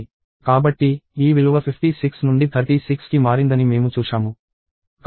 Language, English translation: Telugu, So, we saw that, the value changed from 56 to 36